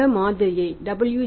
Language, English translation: Tamil, This model is given to us by W